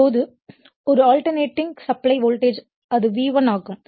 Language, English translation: Tamil, Now, an alternating supply voltage it is a V1 is given right